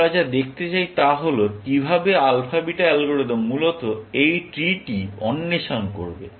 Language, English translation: Bengali, What we want to see is how will alpha beta algorithm explore this tree, essentially